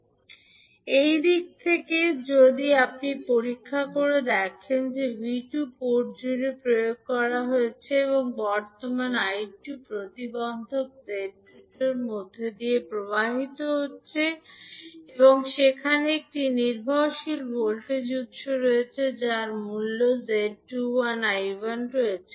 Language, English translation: Bengali, From this side, if you check that V2 is applied across the port, current I2 is flowing across the through the impedance Z22 and there is a dependent voltage source having value Z21 I1